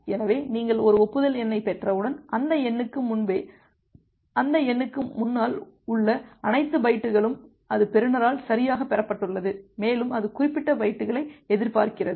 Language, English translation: Tamil, So, once you are getting an acknowledgement number, it means that all the bytes before that number immediately before that number, that has been received correctly by the receiver and it is expecting that particular bytes